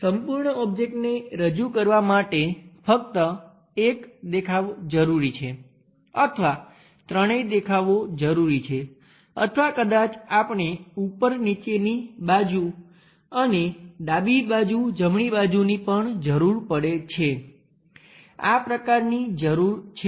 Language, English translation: Gujarati, Whether just one view is good enough to represent that entire object or all the three views required or perhaps we require top bottom and also left side right side this kind of views are required